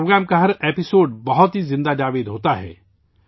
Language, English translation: Urdu, Every episode of this program is full of life